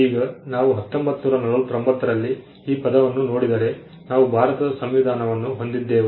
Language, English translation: Kannada, Now if we look at the term itself in 1949, we had the Constitution of India